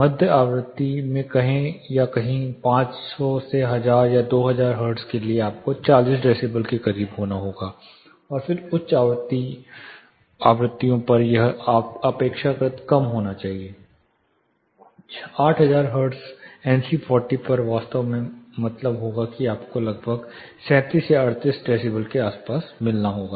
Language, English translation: Hindi, Say in mid frequency somewhere around 500, 1000 or 2000 hertz you have to be close to NC 40 that is, sorry 40 decibels and then at high frequencies it should be relatively low, say 8000 hertz NC40 would actually mean you will have to meet somewhere around 37 or 38 decibels